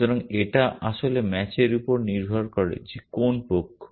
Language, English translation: Bengali, So, it really depends on the match which side